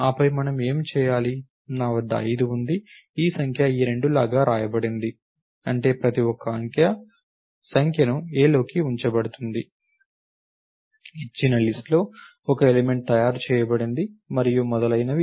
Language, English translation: Telugu, And then what do we do I have 5, this number is written like this 2, that is every single digit number is put into a, made an element in the given list and so on